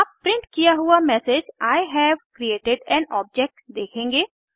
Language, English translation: Hindi, You will see the message I have created an object